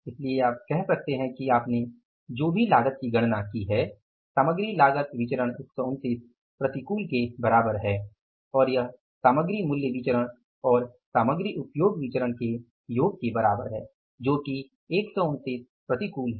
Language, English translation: Hindi, This is the check is confirmed so you can say the cost you have calculated, material cost variance is equal to 129 unfavorable and then that is equal to the sum of material price variance and material usage variance which is 129 unfavorable